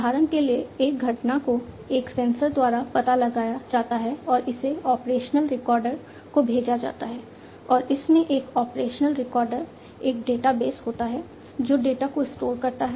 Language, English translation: Hindi, For example, an event is detected by a sensor and sent to the operational recorder and an operational recorder in it is a database, which stores the data